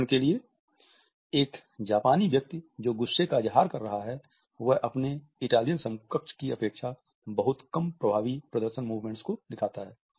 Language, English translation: Hindi, For example, a person from Japan who is expressing anger show significantly fewer effective display movements then is Italian counterpart